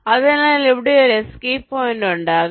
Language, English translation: Malayalam, so there will be one escape point here